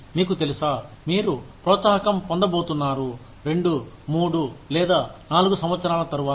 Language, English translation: Telugu, You know, you are going to get an incentive, after two, or three, or four years